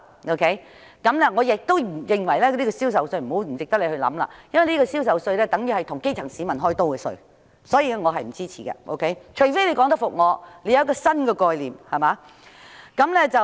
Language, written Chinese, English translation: Cantonese, 我也認為政府不應考慮開徵銷售稅，因為增設這稅項等於向基層市民"開刀"，所以我並不支持，除非政府能提出新的概念說服我。, Neither do I think the Government should consider imposing sales tax as this is tantamount to victimizing the grass - roots people . I therefore do not support this proposal unless the Government can put forth new concepts to convince me